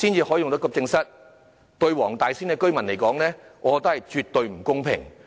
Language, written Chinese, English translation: Cantonese, 我認為對黃大仙區居民而言，絕對不公平。, I consider it absolutely unfair to the residents of Wong Tai Sin District